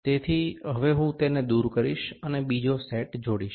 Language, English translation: Gujarati, So, now I will remove it, and attach the other set